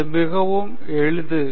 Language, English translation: Tamil, It’s so simple